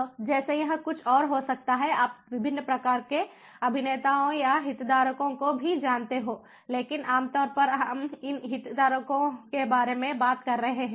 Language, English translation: Hindi, so, like this, there are there could be few other, you know different types of actors or the stake holders as well, but typically we are talking about these stakeholders